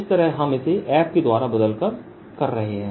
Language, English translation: Hindi, this is how we are doing it by changing f